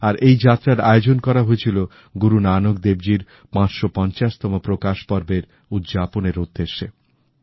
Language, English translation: Bengali, There in the Golden Temple itself, they undertook a holy Darshan, commemorating the 550th Prakash Parv of Guru Nanak Devji